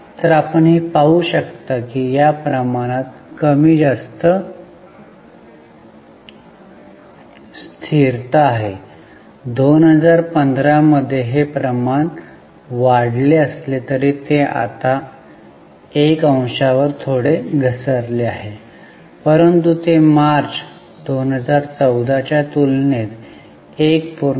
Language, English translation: Marathi, So, you can see there is more or less stagnancy in this ratio, although it ratio increased in 2015, it has now fallen to one point, fallen a bit but still better than slightly less than March 14, 1